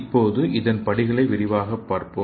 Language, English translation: Tamil, So let us see the steps in detail